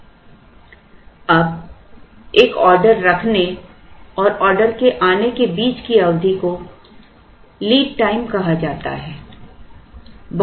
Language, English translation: Hindi, Now, this period between placing an order and arrival of the order is called the lead time